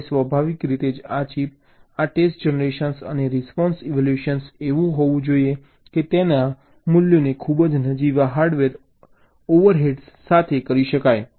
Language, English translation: Gujarati, now, quite naturally, this chip, this, this test generation and response evaluation, should be such that they can be implemented with very nominal hardware overheads